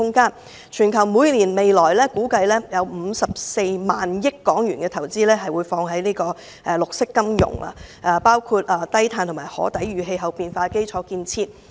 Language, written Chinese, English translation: Cantonese, 估計全球未來每年會有54萬億港元投資在綠色金融，包括低碳及可抵禦氣候變化的基礎設施。, It is estimated that green finance will attract an annual investment of 54,000 billion worldwide covering low - carbon infrastructural facilities that can withstand climate change . Guangdong Province is ahead of us